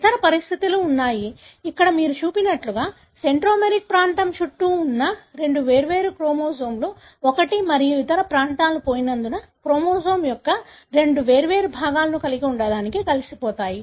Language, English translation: Telugu, There are other conditions, wherein you have, as shown here, two different chromosomes involving around the centromeric region, can fuse together to have two different halves of the chromosome as one and other regions are lost